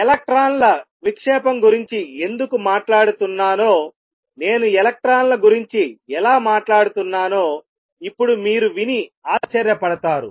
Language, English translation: Telugu, Now you must be wondering so far how come I am talking about electrons why talking about diffraction of electrons